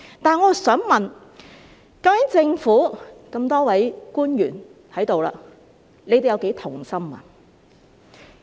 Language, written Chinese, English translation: Cantonese, 但是，我想問在這裏的多位政府官員，究竟你們又有多同心呢？, Nonetheless I would like to ask the public officers here how united you are